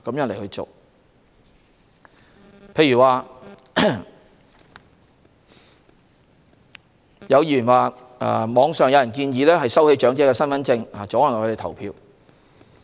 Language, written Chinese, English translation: Cantonese, 例如，有議員指網上有人建議收起長者的身份證以阻礙他們投票。, For example some Members point out that there are appeals online to confiscate the identity cards of elderly people to prevent them from voting